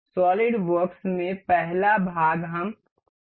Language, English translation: Hindi, In solidworks the first part we can see